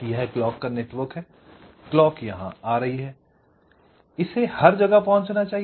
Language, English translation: Hindi, this is the clock network, the clock is coming here, it must reach everywhere